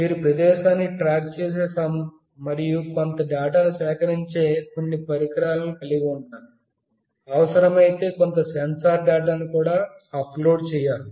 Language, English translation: Telugu, You need to have some devices that will track the location and will also receive some data, if it is required some sensor data can be uploaded